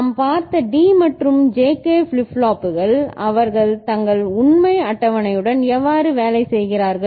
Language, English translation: Tamil, And D and JK flip flops we have seen; how they work their truth table